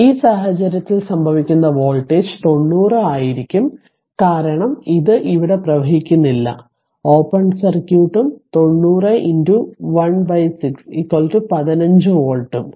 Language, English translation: Malayalam, So, in that case what will happen the voltage across this will be 90 because, this no current is flowing here it is open circuit and 90 into your 1 by 6 that is your 15 volt right